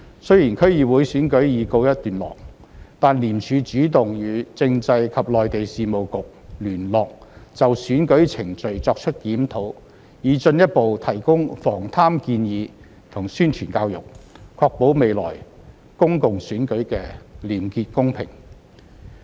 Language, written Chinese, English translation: Cantonese, 雖然區議會選舉已告一段落，但廉署主動與政制及內地事務局聯絡，就選舉程序作出檢討以進一步提供防貪建議及宣傳教育，確保未來公共選舉的廉潔公平。, Although the District Council Election had ended ICAC proactively reviewed the election processes with the Constitutional and Mainland Affairs Bureau and would propose further preventive measures and education efforts to enhance the electoral arrangements for future elections